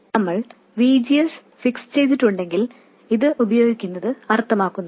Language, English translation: Malayalam, If we hold VGS fixed, then clearly it makes sense to use this